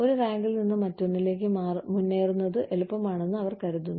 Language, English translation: Malayalam, They feel, it is easier to progress, from one rank to another